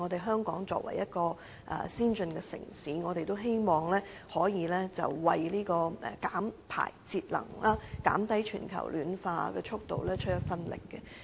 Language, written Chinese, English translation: Cantonese, 香港作為先進城市，也希望可以為減排節能、減慢全球暖化出一分力。, As an advanced city Hong Kong also wishes to play a part in emission reduction and energy conservation so as to slow down global warming